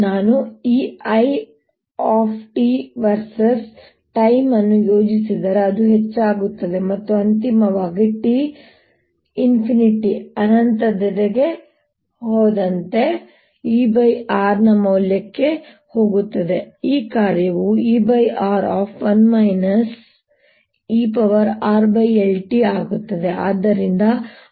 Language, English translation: Kannada, if i plot this i t versus time, it goes up and finally, as t goes to infinity, goes to the value of e over r, and this function is e over r